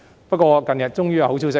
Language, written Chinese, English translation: Cantonese, 不過，近日終於有好消息。, Nevertheless there is finally good news lately